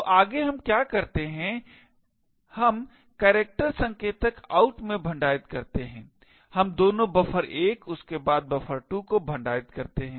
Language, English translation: Hindi, So next what we do is we store in the character pointer out we store both buffer 1 followed by buffer 2